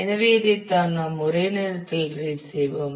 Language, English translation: Tamil, So, this is what we will be read at one go